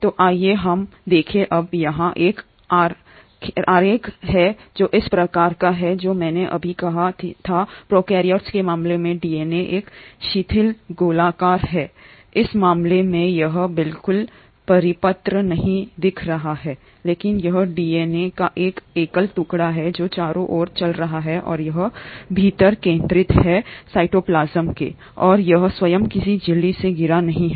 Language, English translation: Hindi, So let us look at, now here is a diagram which kind of recapsulates what I just said that the DNA in case of prokaryotes is a loosely circular, in this case it is not looking exactly circular but this is a single piece of DNA which is running around and it is kind of centred within the cytoplasm and it is not surrounded by any kind of a membrane itself